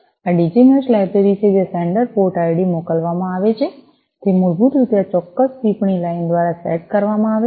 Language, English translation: Gujarati, This is the Digi Mesh library, the sender port id is sent is set basically through this particular comment line